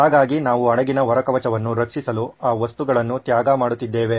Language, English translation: Kannada, So we are sacrificing that material to protect our hull of the ship